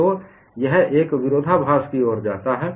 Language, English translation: Hindi, So, this leads to a contradiction